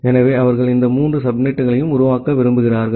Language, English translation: Tamil, So, they want to create these three subnets